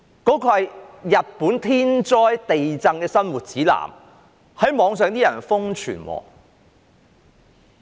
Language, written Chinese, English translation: Cantonese, 那是日本天災地震的生活指南，但被人在互聯網上瘋傳。, This is unfathomable . That is a guide to living through natural disasters or earthquakes in Japan but it has gone viral on the Internet